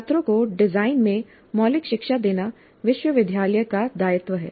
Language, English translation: Hindi, It is the university's obligation to give students fundamental education in design